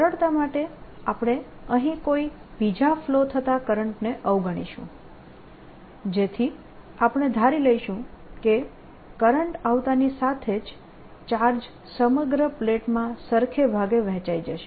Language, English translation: Gujarati, for simplicity we'll ignore we the any, the current flowing time here, so that we'll assume as soon as the current ah the charge comes in, its splits evenly throughout the plate